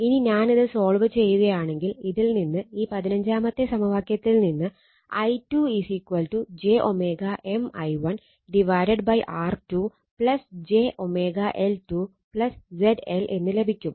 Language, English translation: Malayalam, Now if you solve I mean from here i 2 you are getting from this equation 15 j omega M i 1 upon R 2 plus j omega j omega L 2 plus Z L, this is equation 16